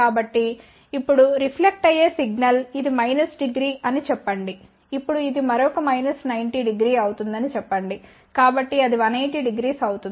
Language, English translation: Telugu, So now, the reflected signal say this was minus 90 degree let say now this will be another minus 90 degree so that will be 180